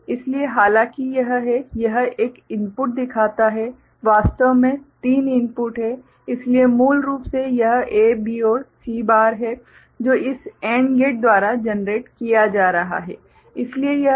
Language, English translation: Hindi, So, though there is it shows one input, actually there are three inputs, so basically it is A, B and C bar that is being generated by this AND gate ok, so this is A B C bar